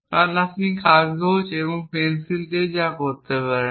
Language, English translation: Bengali, Because whatever you can do with paper and pencil you can do with a computer program as well